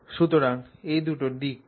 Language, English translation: Bengali, So, what are these two directions